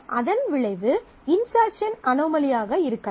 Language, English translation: Tamil, So, the consequence of that could be insertion anomaly